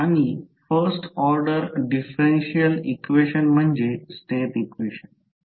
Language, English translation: Marathi, And the first order differential equations are the state equation